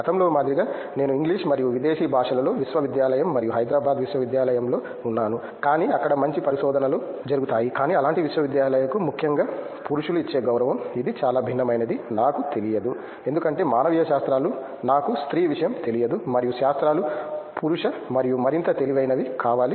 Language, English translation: Telugu, Like previously I was in English and foreign languages, university and university of Hyderabad, but real good research happens there, but the kind of respect that especially men give to such universities is, I don’t know it’s very different because humanities is supposed to be a very I don’t know feminine subject and sciences is supposed to be masculine and more intelligent